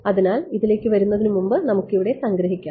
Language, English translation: Malayalam, So, before coming to this let us just summarize over here